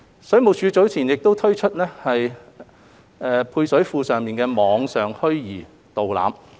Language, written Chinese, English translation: Cantonese, 水務署早前已推出了配水庫的網上虛擬導覽。, The Water Supplies Department has earlier launched a virtual tour of the service reservoir